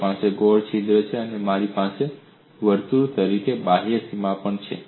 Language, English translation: Gujarati, I have the circular hole and I also have the outer boundary a circle